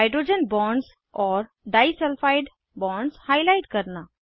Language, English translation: Hindi, * Highlight hydrogen bonds and disulfide bonds